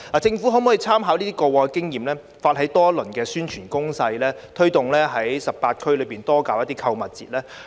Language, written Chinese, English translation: Cantonese, 政府可否參考過往經驗，發起多輪宣傳攻勢，推動在18區內多舉辦購物節呢？, Can the Government by drawing reference from the past experience spearhead various rounds of publicity campaigns for more shopping festivals to be organized in the 18 districts?